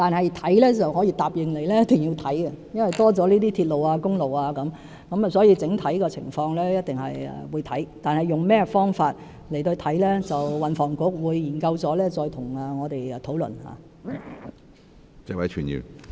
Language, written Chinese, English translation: Cantonese, 然而，我可以答應你一定會研究，因為增加了鐵路和公路，我們一定會檢視整體的情況，但用甚麼方法去研究，我們會與運輸及房屋局再作討論。, However I can promise you that we will definitely study the issue as an examination of the overall situation is necessary in the light of the additional railway and highway . But in what way the study should be conducted we will hold further discussions with the Transport and Housing Bureau